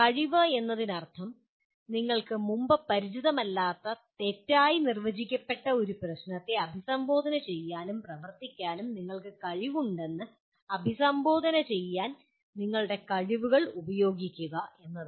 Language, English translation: Malayalam, Capability means using your competencies to address that you have the ability to address and work on a what you call an ill defined problem with which you are not earlier familiar with